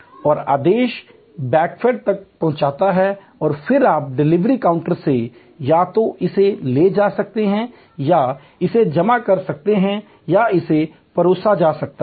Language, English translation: Hindi, And the order reaches the backend and then you can either go and collect it from the delivery counter or it can be served